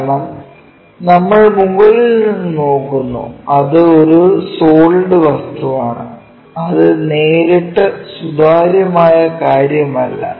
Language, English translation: Malayalam, Now, this one because we are looking from top and it is a solid object, it is not straightforwardly transparent thing